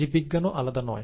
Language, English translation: Bengali, Biology is no different